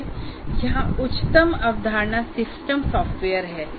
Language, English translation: Hindi, We have here the highest concept is system software